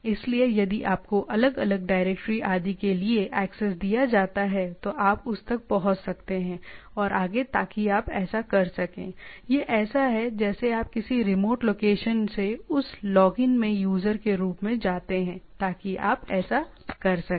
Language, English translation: Hindi, So, if you are given access to different directories etcetera you can access that and so and so forth so that you can do, it is as if you go as a user to that login from a remote location, so that you can do that